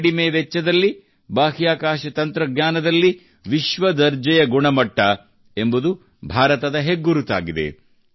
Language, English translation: Kannada, In space technology, World class standard at a low cost, has now become the hallmark of India